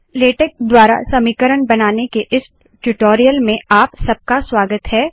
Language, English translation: Hindi, Welcome to this tutorial on creating equations through latex